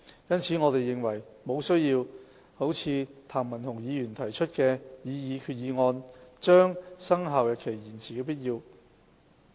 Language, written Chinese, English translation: Cantonese, 因此，我們認為沒需要如譚文豪議員提出的決議案，把生效日期延遲。, We therefore do not consider it necessary to defer the commencement of the Amendment Regulation as suggested in the resolution proposed by Mr Jeremy TAM